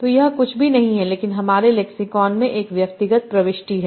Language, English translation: Hindi, So this is nothing but an individual entry in my lexicon